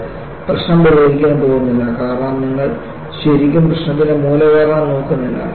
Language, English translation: Malayalam, So, this is not going to solve the problem, because you are not really looking at the root cause of the problem